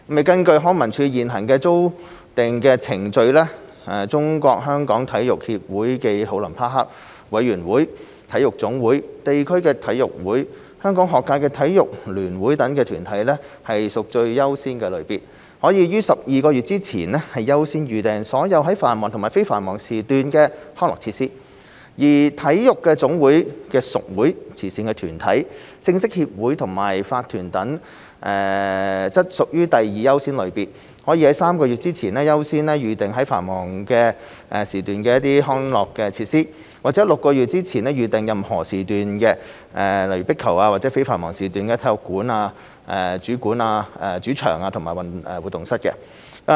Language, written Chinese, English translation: Cantonese, 根據康文署現行的預訂程序，中國香港體育協會暨奧林匹克委員會、體育總會、地區體育會、香港學界體育聯會等團體屬最優先類別，可於12個月前優先預訂所有在繁忙及非繁忙時段的康樂設施；而體育總會的屬會、慈善團體、正式協會和法團等則屬第二優先類別，可於3個月前優先預訂在繁忙時段的康樂設施，或於6個月前預訂任何時段的壁球場及在非繁忙時段的體育館主場和活動室。, According to LCSDs current booking procedure the Sports Federation Olympic Committee of Hong Kong China SFOC NSAs district sports associations and the Hong Kong Schools Sports Federation are among the top priority category under which they are allowed to reserve all peak or non - peak slots of recreation and sports facilities up to 12 months in advance . Affiliated clubs of NSAs charitable organizations bona fide associations and corporations are among the second priority category under which they are allowed to reserve peak slots of recreation and sports facilities up to three months in advance or all slots of squash courts as well as non - peak slots of main arenas and activity rooms of sports centres up to six months in advance